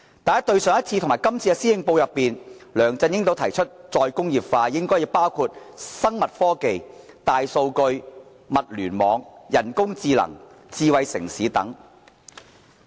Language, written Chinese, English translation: Cantonese, 但是，在上一份和這份施政報告中，梁振英均提出再工業化應該包括"生物科技、大數據、物聯網、人工智能、智慧城市等"。, That said in both the past and current Policy Addresses LEUNG Chun - ying says that re - industrialization should include biotechnology big data the Internet of Things artificial intelligence and smart city